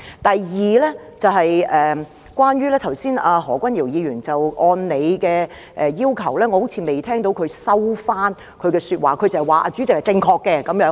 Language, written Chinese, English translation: Cantonese, 第二，我剛才好像未有聽到何君堯議員按照主席的要求，收回他的說話；他只是說主席是正確的。, Secondly I do not seem to have heard Dr Junius HO withdraw his remarks as President requested . He has only said that President is right